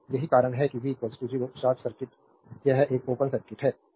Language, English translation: Hindi, So, that is why v is equal to 0 short circuit, this is an open circuit